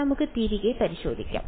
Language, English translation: Malayalam, we can just check back